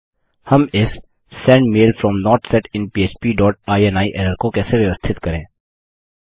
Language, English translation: Hindi, How do we fix this Sendmail from not set in php dot ini error